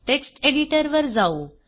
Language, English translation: Marathi, Switch back to the text editor